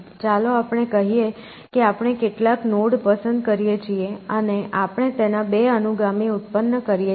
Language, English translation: Gujarati, So, let us say we pick some node and we generate add it successors two